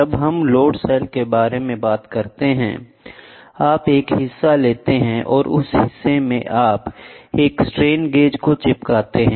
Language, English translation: Hindi, The load cell when we talk about load cell, is nothing but you take a member and in that member you stick a strain gauge, right